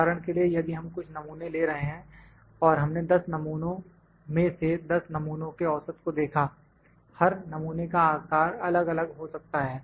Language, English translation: Hindi, For instance, if we are taking certain samples and out of 10 samples we have seen that 10 samples means, each sample size could be different